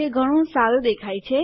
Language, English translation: Gujarati, It looks a lot better